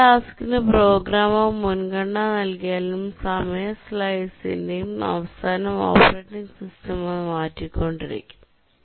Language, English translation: Malayalam, Even if the programmer assigns a priority to a task, the operating system keeps on shifting it the end of every time slice